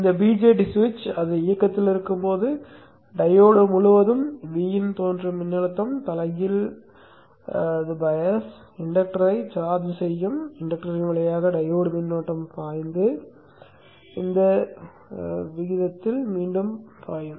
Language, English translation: Tamil, This VJT switch when it is on, there is a voltage V in which appears across the diode, reverse passes the diode, current flows through the inductor, charging up the inductor and flows back in this fashion